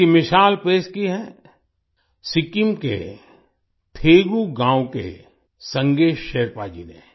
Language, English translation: Hindi, The example of this has been set by Sange Sherpa ji of Thegu village of Sikkim